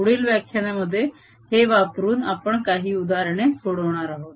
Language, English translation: Marathi, in the next lecture we are going to solve some examples using this